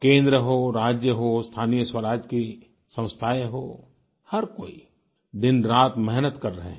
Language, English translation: Hindi, From the centre, states, to local governance bodies, everybody is toiling around the clock